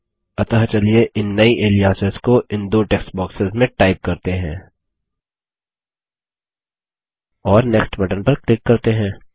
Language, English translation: Hindi, So let us type in these new aliases in the two text boxes and click on the Next button